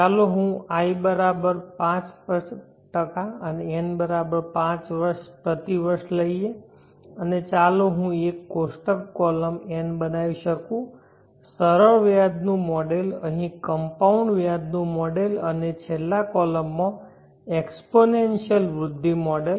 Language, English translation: Gujarati, Let us take I=5% per year and n = 5 years, and let me make a tabular column N, the simple interest model, the compound interest model here and the exponential growth model in the last column